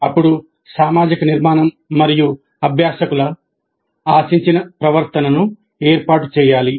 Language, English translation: Telugu, Then establish the social structure and the expected behavior of the learners